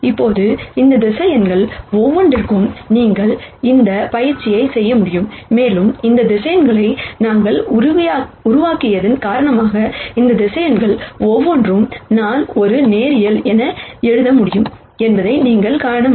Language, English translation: Tamil, Now, you could do this exercise for each one of these vectors and you will be able to see, because of the way we have constructed these vectors, you will be able to see that each one of these vectors, I can write as a linear combination of v 1 and v 2